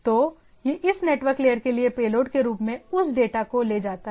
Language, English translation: Hindi, So, it carries that data as a payload for this network layer right